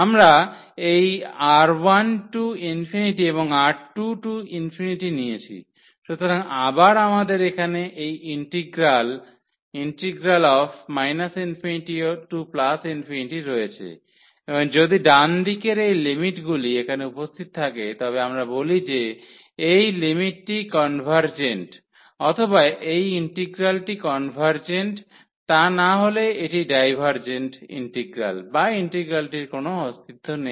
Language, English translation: Bengali, And, we have taken this R 1 to infinity and R 2 to infinity so, again we have this integral here minus infinity to plus infinity and if these limits here on the right hand side these exists then we call that this limit is convergent or this integral is convergent otherwise this is a divergent integral or the integral does not exist